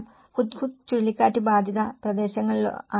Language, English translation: Malayalam, This is on the Hudhud cyclone affected areas